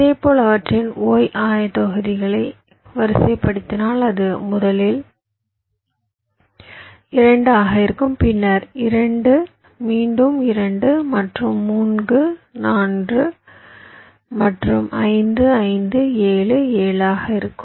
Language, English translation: Tamil, and if you look at the y coordinates, similarly, look at the y coordinates: two, three, five, seven